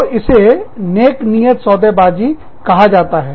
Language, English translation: Hindi, So, that is called, good faith bargaining